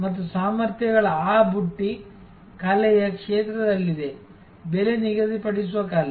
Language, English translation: Kannada, And those basket of capabilities are in the realm of art, art of pricing